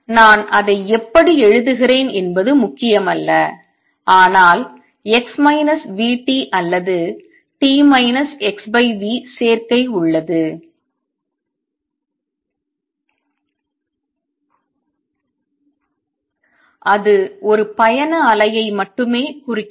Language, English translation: Tamil, No matter how I write it, but there is a combination x minus v t or t minus x over v and that only represents a travelling wave